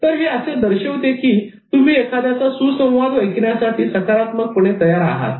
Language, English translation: Marathi, So, this will indicate that you are positively tuned towards receiving somebody's dialogue